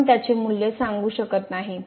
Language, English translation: Marathi, We cannot conclude the value of this one